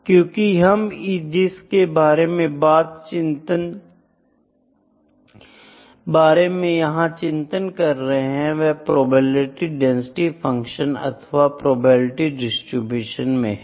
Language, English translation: Hindi, So, what are we bothered about here in the probability density function or in the probability distribution